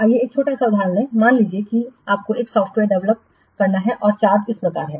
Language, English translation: Hindi, Suppose you have to develop a software and the charge is as follows